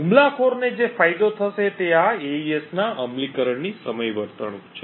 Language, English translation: Gujarati, What the attacker would leverage is the timing behaviour of this AES implementation